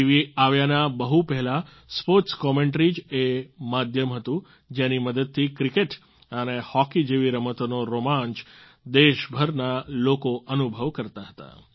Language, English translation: Gujarati, Long before the advent of TV, sports commentary was the medium through which people of the country felt the thrill of sports like cricket and hockey